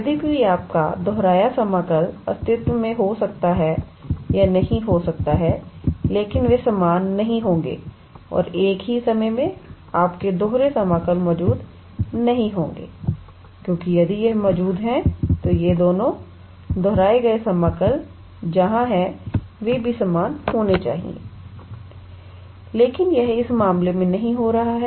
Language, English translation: Hindi, Although your repeated integral may or may not exist, but they will not be same and at the same time, your double integral how to say would not exist because if it exists, then both these repeated integrals where is that, they also should be same, but it is not happening in this case